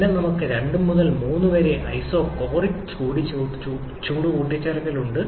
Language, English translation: Malayalam, Then, we have 2 to 3 as isochoric heat addition